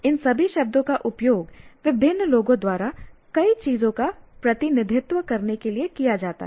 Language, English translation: Hindi, All these words are used by different people to represent many things